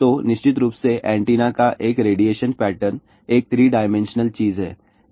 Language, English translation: Hindi, So, of course, a radiation pattern of the antenna is a 3 dimensional thing